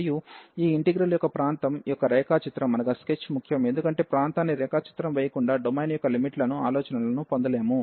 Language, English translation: Telugu, And the sketch of region of this integration is important, because without sketching the region we cannot get the idea of the limits of the domain